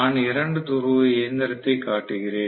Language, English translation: Tamil, This is created; I am showing a 2 pole machine